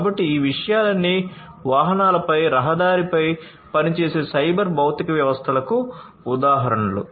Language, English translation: Telugu, So, all these things are examples of cyber physical systems operating on the road on the vehicles and so on